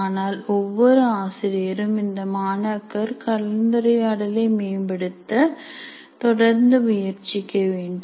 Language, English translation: Tamil, But every teacher can make do with continuous improvement in student interaction